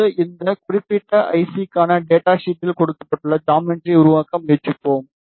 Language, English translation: Tamil, Now, we will try to make the geometry that is given in the data sheet for this particular I C